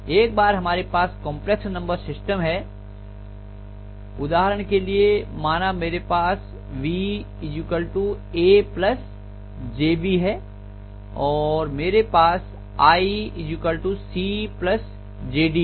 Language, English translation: Hindi, So once we have the complex number notation let us say I have V equal to a plus jb and let us say I have i equal to c plus jd, okay